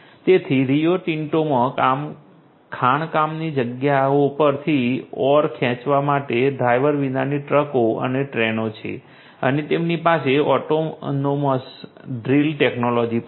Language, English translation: Gujarati, So, Rio Tinto has driverless trucks and trains to pull ore from the mining sites and they also have the autonomous drill technology